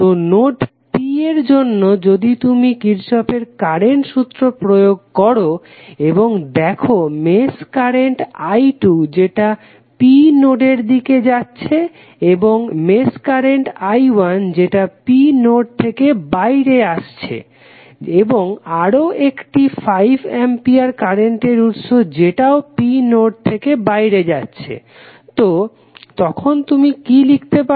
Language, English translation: Bengali, So, for node P if you apply Kirchhoff Current Law and if you see the mesh current is i 2 which is going in to node P and the mesh current i 2 is coming out of node P and another current source of 5 ampere is coming out of node P, so what you can write